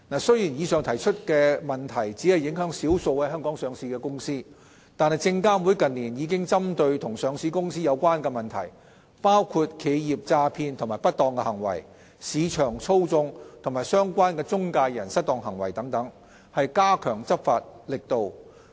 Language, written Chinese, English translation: Cantonese, 雖然以上提及的問題只影響少數在香港上市的公司，但證監會近年已針對與上市公司有關的問題，包括企業詐騙及不當行為、市場操縱和相關的中介人失當行為等，加強執法力度。, Although the types of problems outlined above only affect a small number of listed companies in Hong Kong SFC has in recent years stepped up its enforcement efforts directed at listed companies - related issues such as corporate fraud and misfeasance market manipulation and related intermediary misconduct